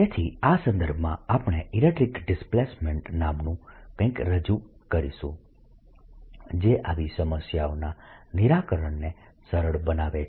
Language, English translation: Gujarati, so in this context, we're going to do introduce something called the electric displacement that facilitates solving of such problems